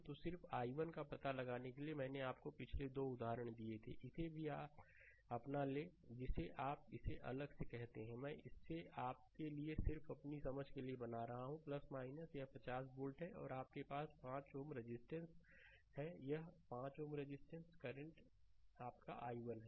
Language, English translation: Hindi, So, just for finding out the i 1, I told you previous 2 example also take this your what you call this separately, I making it for you just for your understanding this is plus minus right, this is 50 volt, right and you have 5 ohm resistance, this 5 ohm resistance current is your i 1